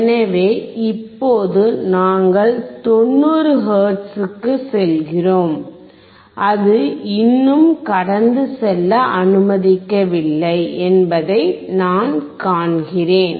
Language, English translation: Tamil, So now, we go to 90 hertz, and I see it is still not allowing to pass